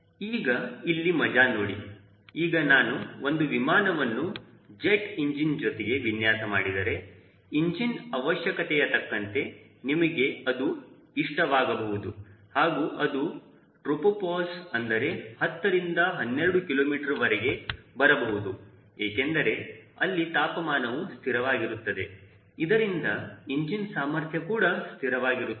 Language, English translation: Kannada, if we have designing an aircraft with a jet engine and all typically you will like that from the engine requirement they will like to fly at tropo powers around ten to twelve kilometers because of temperature being constant ah, and it helps the engine to maintain its efficiency